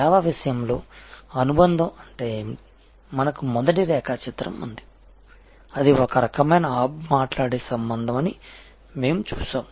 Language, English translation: Telugu, In case of service subsidiary means we have the first diagram, that we looked at that it is some kind of a hub spoke relationship